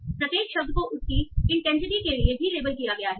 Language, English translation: Hindi, And each word has been labeled for also for intensity